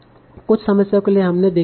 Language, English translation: Hindi, There were some problems that we saw that how do we handle zero's